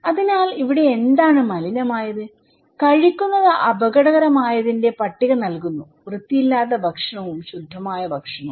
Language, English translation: Malayalam, So, here what is polluted, what is dangerous to eat are given the list; unclean food and clean food, okay